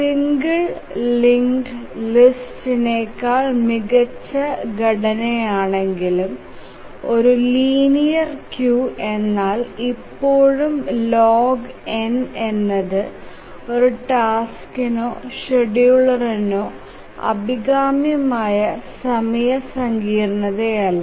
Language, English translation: Malayalam, So even though it is a better structure than a singly linked list a linear queue, but still log n is not a very desirable time complexity for a task for a scheduler